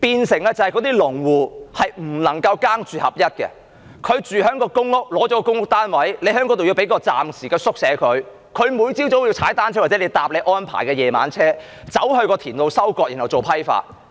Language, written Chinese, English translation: Cantonese, 這樣令那些農戶不能"耕住合一"，農戶得到一個公屋單位居住，在田那裏又要有一個暫時的宿舍，他每天早上都要騎單車或乘搭當局安排的"夜車"到田裏收割，然後做批發。, Under this plan farmers cannot dwell in their farms . Instead one gets a public housing estate unit and a temporary hostel in the farm . Every morning the farmers have to cycle or ride on the night coaches arranged by the authorities to harvest vegetables in the farm and then do wholesaling